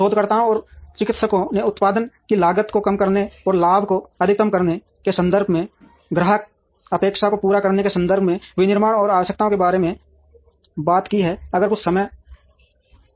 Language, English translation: Hindi, Researchers and practitioners have been talking about the requirements of manufacturing from the context of meeting customer expectation, from the context of reducing the cost of production, and the context of maximizing the profit